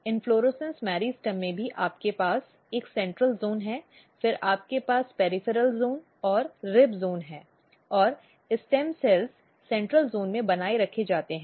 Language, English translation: Hindi, So, in inflorescence meristem also you have a central zone then you have peripheral zones and rib zones and stem cells are maintained in the central zone